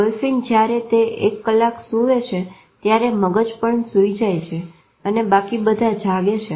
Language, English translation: Gujarati, Dolphin, when it sleeps one half of the brain sleeps the other keeps awake